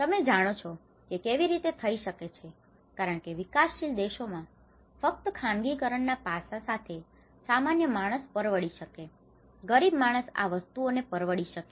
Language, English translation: Gujarati, You know how it can be because in a developing countries only with the privatization aspect whether the common man can afford, the poor man can afford these things